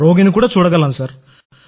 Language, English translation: Telugu, Can see the patient also, sir